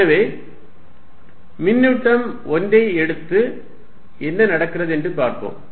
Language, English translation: Tamil, So, let us take the charge 1 and see what happens